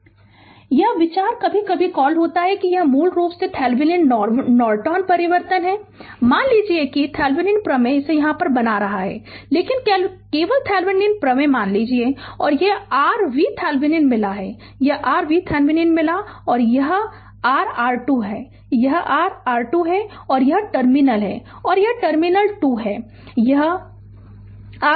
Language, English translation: Hindi, The idea is sometimes we call that it is basically Thevenin Norton transformation suppose Thevenins theorem making it here only suppose Thevenin theorem, this is your V Thevenin you got right this is your V Thevenin you got and your this is your R Thevenin, this is your R Thevenin and this is terminal one and this is terminal 2 this is your R Thevenin right